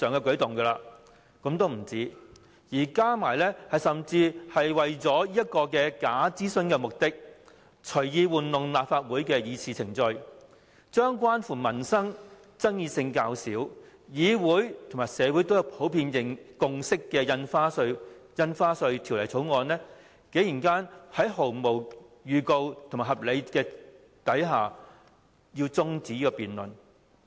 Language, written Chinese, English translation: Cantonese, 更有甚者，政府為了完成這項假諮詢，隨意操弄立法會的議事程序，將關乎民生、爭議性較少，議會和社會都達致普遍共識的《條例草案》，在毫無預告的情況下，未有提出任何合理原因便中止這項辯論。, Furthermore in order to complete this bogus consultation the Government has wilfully manipulated the proceedings of the Council . In the absence of any prior notice and without giving any reason the Government has adjourned the debate on this livelihood - related Bill which is not too controversial and on which a consensus has been reached in the Council and the community